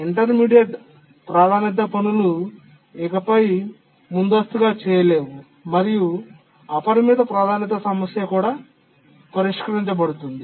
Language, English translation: Telugu, The intermediate priority tasks can no longer preempt it and the unbounded priority problem is solved